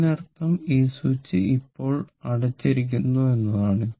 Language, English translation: Malayalam, That means this switch is closed now